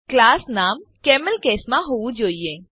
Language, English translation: Gujarati, * The class name should be in CamelCase